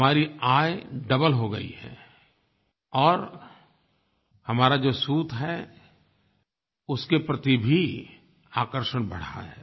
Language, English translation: Hindi, "Our income has doubled and there has been a rise in demand for our yarn"